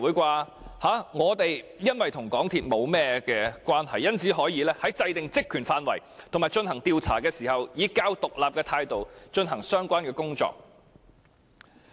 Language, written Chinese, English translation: Cantonese, 由於本會與港鐵公司沒有甚麼關係，所以可以在制訂職權範圍和進行調查時，以較獨立的態度進行相關工作。, As this Council has no particular relationship with MTRCL this Council can act more independently when formulating the terms of reference for the select committee and conducting the inquiry